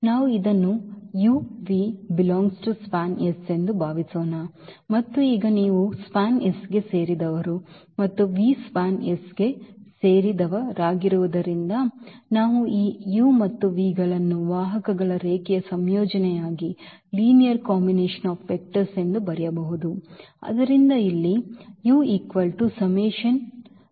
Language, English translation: Kannada, So, here let us suppose this u and v they belong to this span S and now because u belongs to the span S and v belongs to the span S so, we can write down this u and v as a linear combination of the vectors v’s